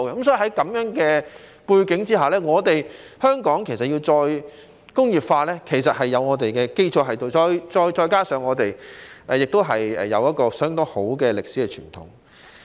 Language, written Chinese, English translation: Cantonese, 所以，在這樣的背景下，香港要再工業化，其實已有一定基礎，再加上我們有一個相當好的歷史傳統。, Therefore against this background Hong Kong actually has a considerable basis for re - industrialization coupled with an excellent historical tradition . Of course we cannot get stuck in a rut . We need new initiatives